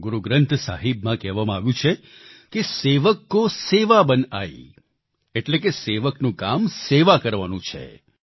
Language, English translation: Gujarati, It is mentioned in Guru Granth Sahib "sevak ko seva bun aayee", that is the work of a sevak, a servant is to serve